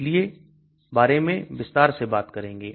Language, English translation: Hindi, We will talk about this more in detail